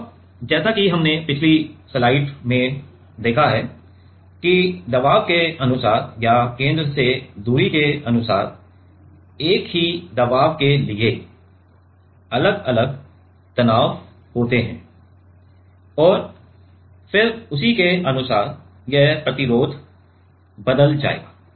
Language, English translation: Hindi, And, as we have seen in the last slide that according to the pressure or according to the distance from the center there will be for the same pressure there will be different different stresses right and then accordingly this resistances will change